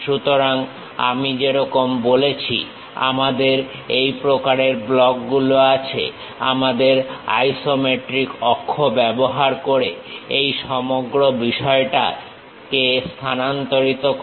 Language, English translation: Bengali, So, as I said we have this kind of blocks, transfer this entire thing using our isometric axis